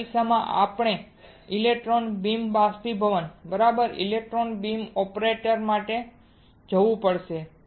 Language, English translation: Gujarati, In this case we have to go for electron beam evaporator alright electron beam operator